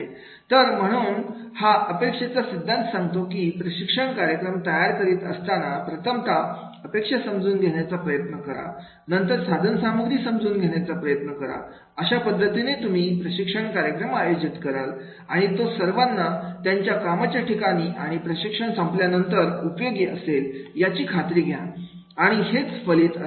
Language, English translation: Marathi, So, therefore this expectancy theory talks about that is while designing a training program first try to understand the expectation, they understand the instrumentality that how will you conduct the training program and make ensure that it is useful after going return to the training program to their workplace and that is the valence will be there